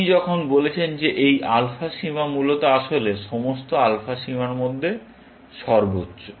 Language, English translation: Bengali, When you have said that this alpha bound is actually, the maximum of